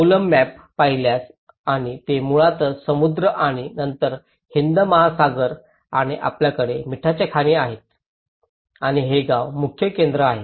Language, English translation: Marathi, If you look at the Kovalam map and this is basically, the sea and then Indian Ocean and you have the salt mines here and this is the main heart of the village